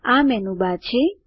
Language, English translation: Gujarati, This is the Menubar